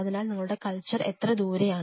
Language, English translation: Malayalam, So, how far is your culture